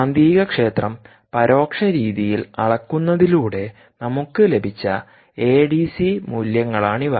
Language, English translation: Malayalam, these are the a d c values that we got through the indirect method of measurement of the magnetic field